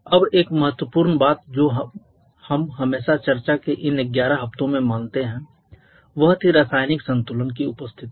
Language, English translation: Hindi, Now one important thing that we have always assumed throughout this 11 weeks of discussion was the presence of chemical equilibrium